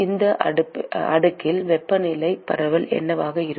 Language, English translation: Tamil, What will be the temperature distribution in this slab